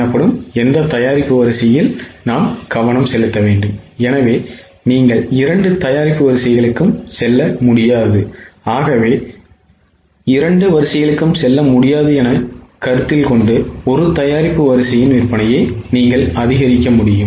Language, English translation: Tamil, So, assuming that you cannot go for both the lines, any one product line you can increase the sales